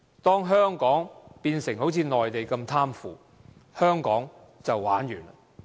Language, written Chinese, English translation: Cantonese, 當香港一旦變成好像內地那麼貪腐，香港便會"玩完"。, Once Hong Kong turns into as corrupt as the Mainland Hong Kong will be doomed